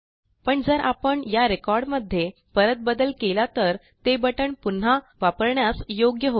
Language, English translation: Marathi, But if we edit this record again, then the button gets enabled again